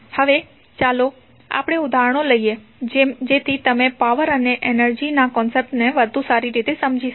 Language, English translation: Gujarati, Now, let us take examples so that you can better understand the concept of power and energy